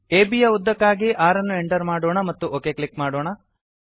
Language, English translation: Kannada, Lets enter 5 for length of AB and click ok